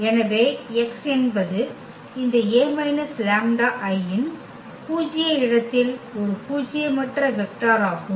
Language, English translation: Tamil, So, x is a nonzero vector in the null space of this A minus lambda I